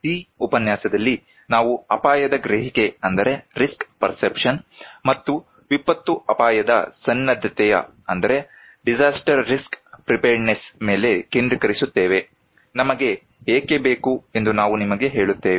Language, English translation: Kannada, In this lecture, we will focus on risk perception and disaster risk preparedness, I will tell you that why we need